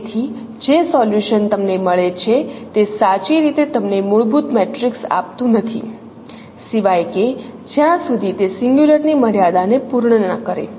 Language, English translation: Gujarati, So the solution what you get that is not truly giving you a fundamental matrix unless it satisfies that singularity constraint